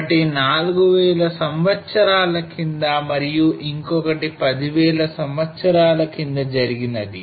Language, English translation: Telugu, One was around 4000 years and one around 10,000 years